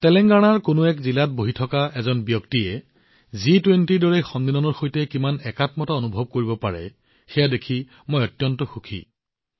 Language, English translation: Assamese, I was very happy to see how connected even a person sitting in a district of Telangana could feel with a summit like G20